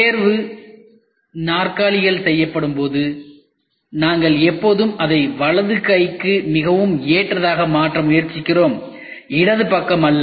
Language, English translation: Tamil, when the chairs are made for the examination, we always try to make it more friendly towards the right hander and not towards the left